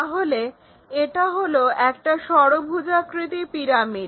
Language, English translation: Bengali, So, it is a hexagonal pyramid